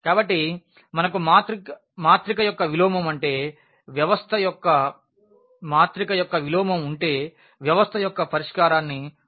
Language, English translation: Telugu, So, if we have the inverse of a matrix we can easily write down the solution of the system